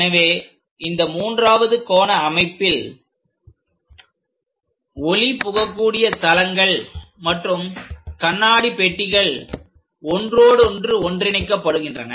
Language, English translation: Tamil, So, in this third angle system is more like transparent planes and glass boxes are intermingled with each other